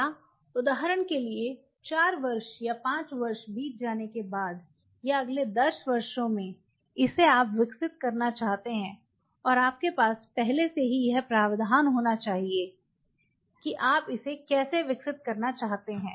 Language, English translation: Hindi, Or say for example, fourth year of fifth year down the line or in next any you want to develop, and you have to have the provision already there how you want to develop it